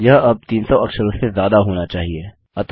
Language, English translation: Hindi, That should be more than 300 characters now